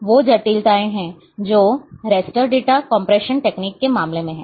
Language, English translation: Hindi, So, these are the complications which are there in case of raster data compression technique